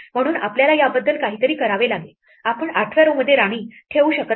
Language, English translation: Marathi, So, we have to do something about this, we cannot place a queen in the 8th row